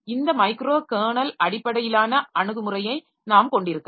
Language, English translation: Tamil, We can have this microcarnel based approach